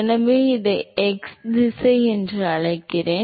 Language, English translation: Tamil, So, I call this as x direction